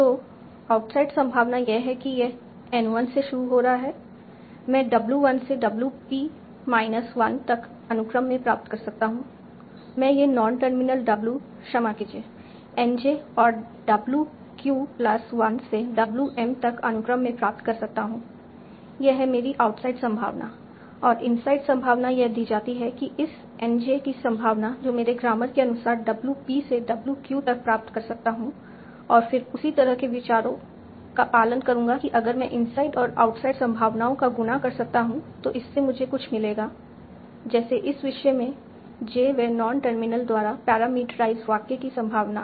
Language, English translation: Hindi, So the outside probability is probability of generating W1 to WP minus P minus 1 yes NJ p Q and WQ and WQ given my grammar and inset probability is probability of generating w p to w q given n j so this is also parameterized by n j pq because it is driving w b w q and my grammar so that's how i define my insight and oxide probabilities now let's take a simple example i this sentence, the gunman is sprayed the building with bullets